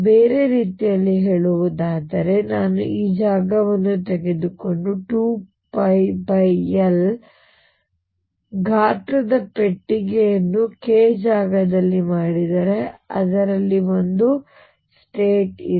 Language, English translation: Kannada, In other words if I take this space and make a box of size 2 pi by L in the k space there is one state in it